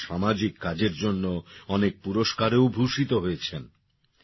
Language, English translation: Bengali, He has also been honoured with many awards for social work